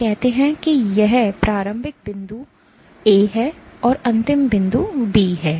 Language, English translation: Hindi, Let us say this is the starting point A and this is the ending point B